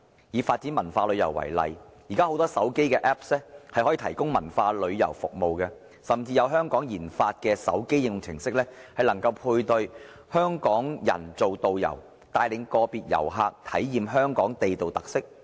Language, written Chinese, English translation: Cantonese, 以發展文化旅遊為例，現在很多手機應用程式可以提供文化旅遊服務，甚至有香港研發的手機應用程式，能夠配對香港人做導遊，帶領個別遊客體驗香港地道特色。, In the case of developing cultural tourism nowadays many mobile applications can offer cultural tourism services and certain mobile applications developed by Hong Kong can provide matching services for Hong Kong people to act as tour guides leading individual visitors to appreciate the authentic features of Hong Kong